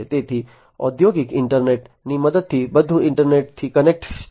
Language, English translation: Gujarati, So, with the help of the industrial internet everything will be connected to the internet